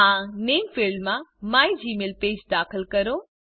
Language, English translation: Gujarati, In the Name field, enter mygmailpage